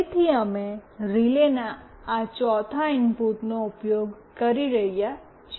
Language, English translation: Gujarati, So, we are using this fourth input of this relay